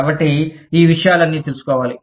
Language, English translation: Telugu, So, all of these things, need to be found out